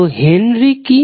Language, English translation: Bengali, So, what is 1 Henry